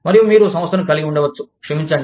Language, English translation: Telugu, And, you could have firm, sorry